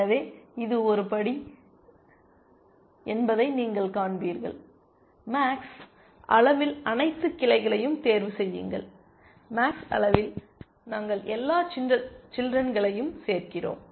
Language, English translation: Tamil, So, you will see that this is the step, at max level choose all branches, at max level we are adding all the children